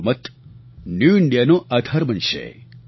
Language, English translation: Gujarati, Your vote will prove to be the bedrock of New India